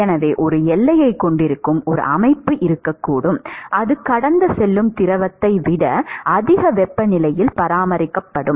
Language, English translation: Tamil, So, there could be a system where you have a boundary which is maintained at a higher temperature than the fluid which is flowing past it